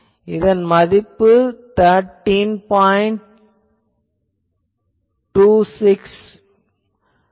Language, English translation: Tamil, 212 and that is minus 13